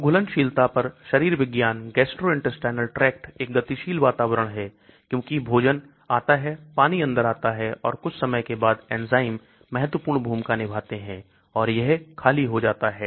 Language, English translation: Hindi, So physiology on solubility the gastrointestinal tract is a dynamic environment because food comes in, water comes in and then after certain time the enzymes play an important role and there is an emptying